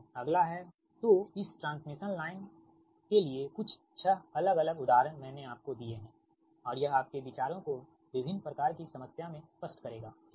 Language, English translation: Hindi, next is so, for this transmission line, some six different examples i have given to you, right, and this will, this will clear your ideas that different type of problem right now